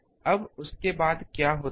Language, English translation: Hindi, Now, after that what happens